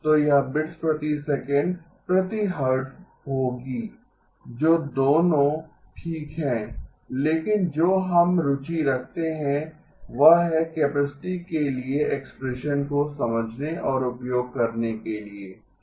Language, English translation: Hindi, So it will be bits per second per hertz, both of which are okay but what we are interested is to understand and utilize the expression for the capacity okay